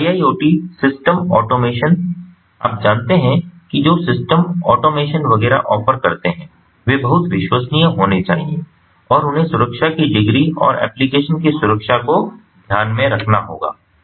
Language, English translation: Hindi, so iiot system automation, ah, you know, systems which offer automation, etcetera, they have to be very much reliable and they have to take in to account, ah, the degree of safety, ah, ah and the security of the application